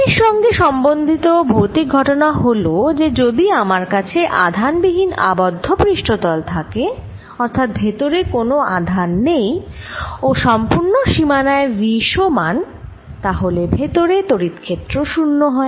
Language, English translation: Bengali, related physical phenomena is that if i have a close surface with no charge, no charge inside and v same throughout the boundary, then field inside is equal to zero